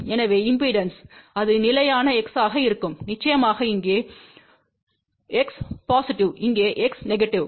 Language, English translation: Tamil, So, for impedance, it will be constant x, of course here x is positive, here x is negative